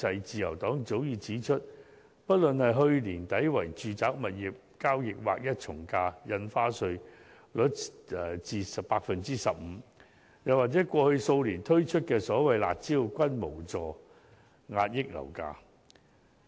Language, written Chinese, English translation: Cantonese, 自由黨早已指出，不論是去年年底為住宅物業交易劃一從價印花稅稅率至 15%， 又或過去數年推出的所謂"辣招"，均無助遏抑樓價。, The Liberal Party has pointed out that both the flat rate of 15 % for the ad valorem stamp duty chargeable on residential property transactions introduced at the end of last year and the harsh measures implemented for some years could not help suppress the rise in property prices